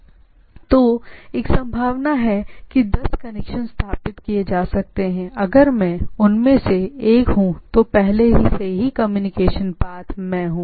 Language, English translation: Hindi, So, if there are there are possibility of ten connections can be established, if when I am one is already in the communication path